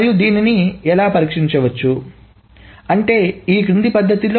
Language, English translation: Telugu, And how can one solve this is the following manner